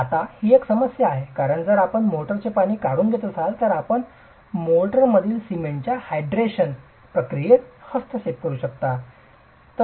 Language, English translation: Marathi, Now, there is a problem because if you take away water from mortar you are going to interfere with the hydration processes of the cement in mortar